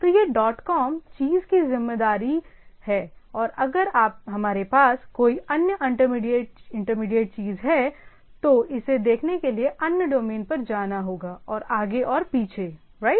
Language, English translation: Hindi, So, this dot com as the responsibility of the thing and if we are if it is having another intermediate thing, then it has to go for other domains to look at and so and so forth right